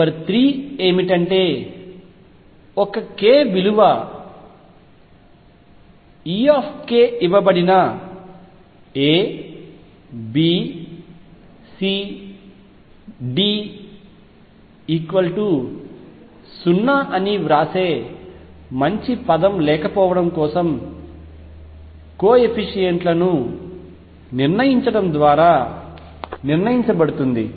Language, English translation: Telugu, Number 3 given a k value E k is determined by making the determinant of coefficients for and for the lack of better word I will just write A B C D equal to 0